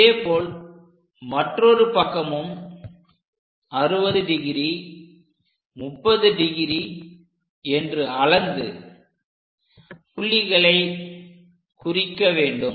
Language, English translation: Tamil, Similarly, on this side also mark these points 60 degrees, and on this side 30 degrees